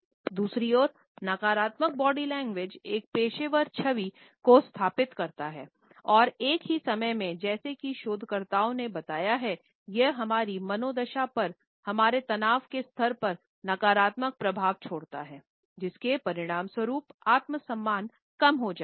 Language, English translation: Hindi, On the other hand negative body language impairs a professional image and at the same time as researchers have pointed, it leaves a negative impact on our mood, on our stress levels, ultimately resulting in the diminishing self esteem